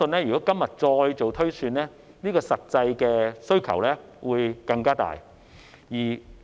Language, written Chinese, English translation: Cantonese, 如果今天再做推算，我相信實際的需求會更大。, The actual demand will be even stronger if a projection is made again today